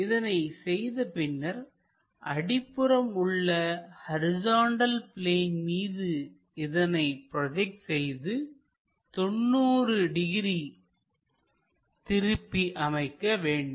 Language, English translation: Tamil, So, this point has to be projected onto horizontal plane and rotate it by 90 degrees